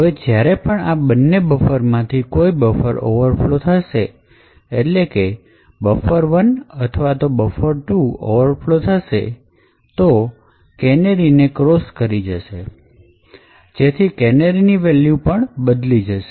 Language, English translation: Gujarati, Now whenever, if any of these two buffers overflow, that is buffer 1 or buffer 2 overflows and it crosses the canary, then the canary value will be modified